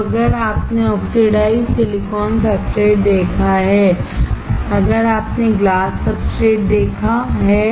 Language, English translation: Hindi, Now, if you have seen oxidized silicon substrate, if you have seen glass substrate